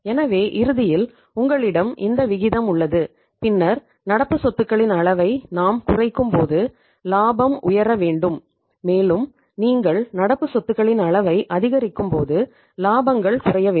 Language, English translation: Tamil, So ultimately you have in the beginning you have this ratio then we reduce the level of the current assets the profit should go up and when you increase the level of current assets profits should go down